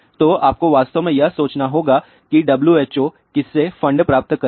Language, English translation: Hindi, So, you have to really think about WHO gets funding from whom